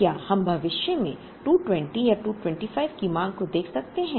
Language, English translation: Hindi, Now, can we look at a demand of 220 or 225 in the future